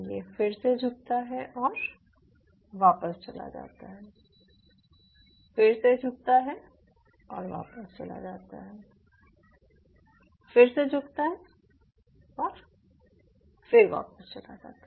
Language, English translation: Hindi, then again it bend and again it goes back again, it bends again, it goes back, again it bends, again it goes back